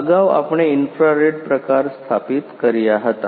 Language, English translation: Gujarati, Earlier we are installed we were installed infrared type